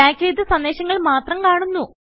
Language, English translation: Malayalam, Only the messages that we tagged are displayed